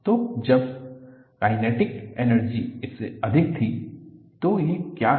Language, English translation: Hindi, So, when the kinetic energy was more, then what it is